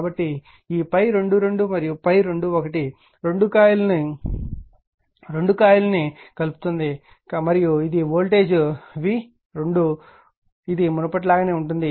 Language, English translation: Telugu, So, this phi 2 2 and phi 2 1 both linking coil 2 and this is the voltage v 2 this is your same as before